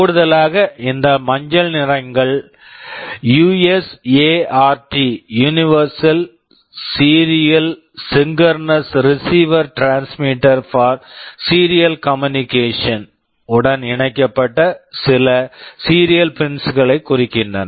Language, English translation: Tamil, In addition these yellow ones refer to some serial pins that are connected to USART – universal serial asynchronous receiver transmitter for serial communication